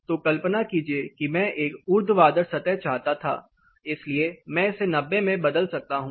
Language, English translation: Hindi, So, imagine I wanted for a vertical surface I can change it to 90